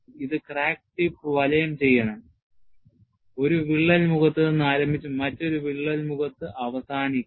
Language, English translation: Malayalam, I can choose any convenient path; it should enclose the crack tip, start at one crack face and end at another crack face